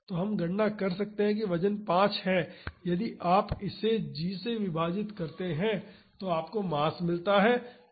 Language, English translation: Hindi, So, we can calculate that the weight is five if you divide it by g you get the mass